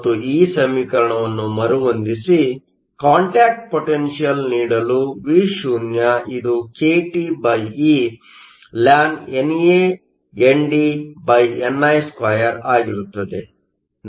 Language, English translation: Kannada, And rearrange this expression to give you your contact potential Vo is nothing but kTeln NANDni2